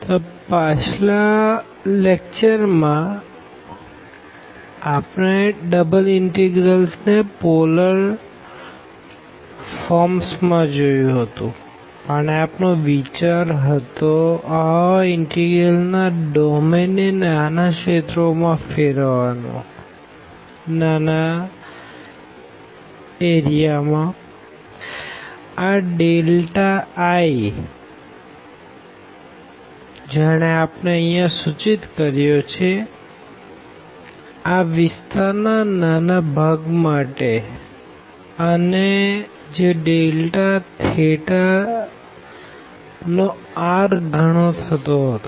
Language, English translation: Gujarati, So, in the last lecture we have seen the double integrals in the polar forms and the idea was to again break this integral the domain of integral into smaller parts of region, this delta i which we have denoted here for this small portion of the area and which was coming to be the r times the delta r and delta theta